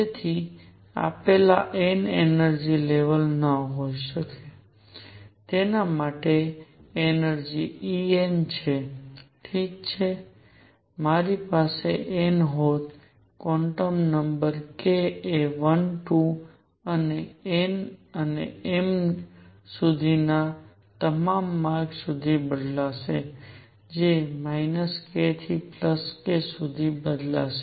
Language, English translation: Gujarati, So, for a given n a given energy level right, that energy is fixed E n, I would have n, the quantum number k would vary from 1, 2 and up to all the way up to n and m which varied from minus k to k